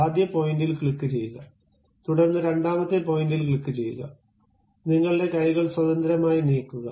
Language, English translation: Malayalam, Click first point, then click second point, freely move your hands